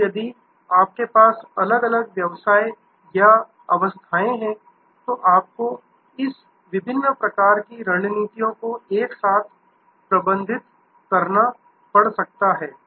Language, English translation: Hindi, And if you have different businesses or difference stages, then you may have to manage this different business types of strategies together